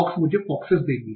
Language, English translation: Hindi, Fox will give me foxes